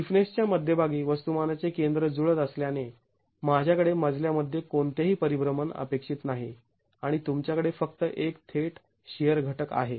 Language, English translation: Marathi, Since the center of mass and the center of stiffness coincide, I do not have any rotation expected in the flow and you have only a direct shear component